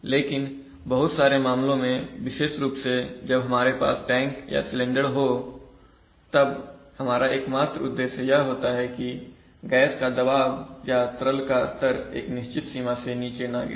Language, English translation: Hindi, But in many cases, we especially, when we have tanks or we have cylinders our only objective is that the gas pressure or the liquid level does not fall below a certain limit